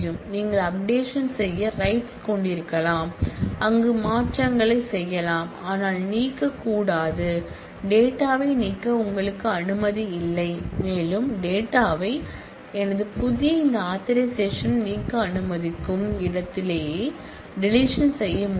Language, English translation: Tamil, You can have update rights, where we can change make modifications, but you may not be, you are not allowed to delete data, and you can that would be delete right where it allows you to delete data and my new this authorisations or not these are all independent authorisation